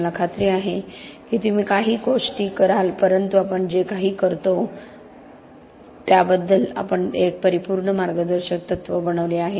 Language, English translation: Marathi, I am sure you do some of the things here but we have made that an absolute guiding principle of what we do